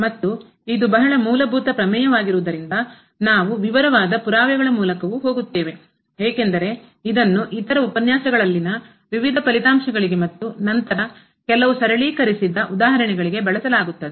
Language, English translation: Kannada, And since it is a very fundamental theorem so we will also go through the detail proof because this will be used for various other results in other lectures and then some worked examples